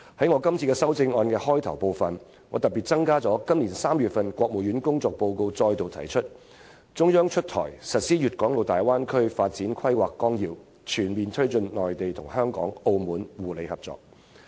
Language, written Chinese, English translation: Cantonese, 我特別在我的修正案引言部分增加了今年3月國務院發表的政府工作報告中再度提出的說法："出台實施粵港澳大灣區發展規劃綱要，全面推進內地同香港、澳門互利合作。, In the preamble of my amendment I have added a particular remark which was reiterated in the Report on the Work of the Government issued by the State Council in March this year and it reads We will unveil and implement the development plan for the Guangdong - Hong Kong - Macao Greater Bay Area and promote in all areas mutually beneficial cooperation between the Mainland Hong Kong and Macao